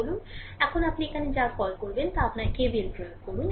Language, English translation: Bengali, So now, you apply your what you call here that your KVL